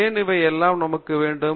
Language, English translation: Tamil, Why do we need all this